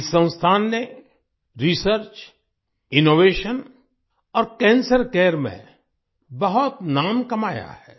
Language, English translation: Hindi, This institute has earned a name for itself in Research, Innovation and Cancer care